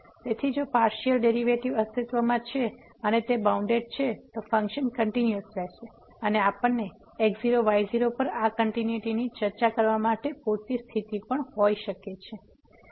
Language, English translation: Gujarati, So, if the partial derivatives exists and they are bounded, then the function will be continuous and we can also have a sufficient condition to discuss this continuity at naught naught